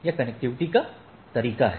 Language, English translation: Hindi, So, that is the way of connectivity